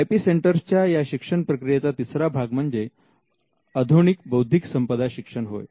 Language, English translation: Marathi, Now, the third part of IP education is the advanced IP education